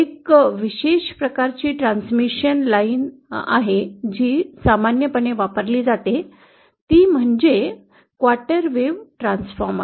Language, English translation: Marathi, A special type of transmission line which is very commonly used is what is called as a quarter wave Transformer